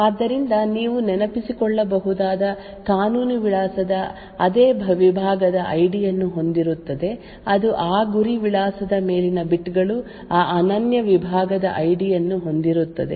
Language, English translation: Kannada, So, a legal address as you may recall would have the same segment ID that is the upper bits of that target address would have that unique segment ID